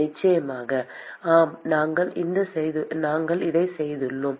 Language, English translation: Tamil, Of course, yes, we have done this